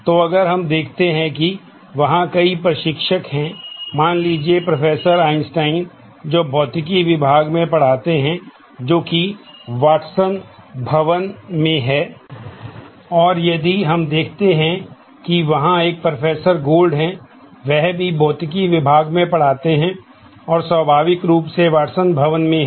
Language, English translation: Hindi, So, if we look at there are multiple instructors say, let us say Professor Einstein, who teaches in the Physics department, that is housed in the Watson building and if we look through there is a Professor Gold, who also teaches in the Physics department and naturally that is housed in the Watson building